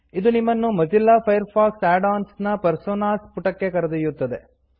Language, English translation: Kannada, This takes us to the Personas page for Mozilla Firefox Add ons